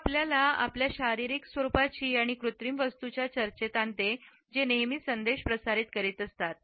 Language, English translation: Marathi, This brings us to the discussion of our physical appearance and artifacts which also transmits messages